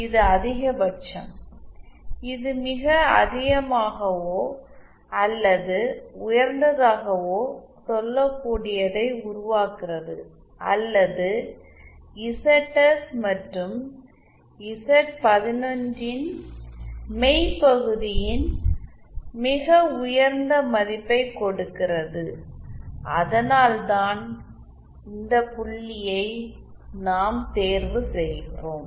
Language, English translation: Tamil, This has the maximum, this creates the most I can say the most or the highest or give the highest value of the real part of ZS plus Z 1 1 that why we choose this point